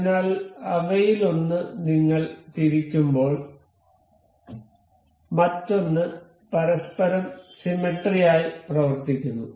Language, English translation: Malayalam, So, as we rotate one of them, the other one behave symmetrically about each other